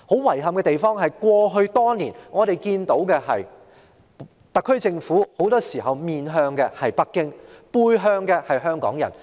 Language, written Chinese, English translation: Cantonese, 遺憾的是，過去多年，我們看到特區政府很多時候是面向北京，背向香港人。, Regrettably over the years we have seen that more often than not the SAR Government would turn towards Beijing and turn away from the people of Hong Kong